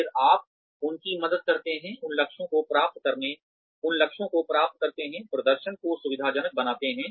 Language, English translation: Hindi, Then, you help them, achieve those goals, facilitate performance